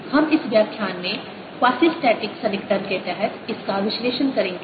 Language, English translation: Hindi, we will analyze that in this lecture under quasistatic approximation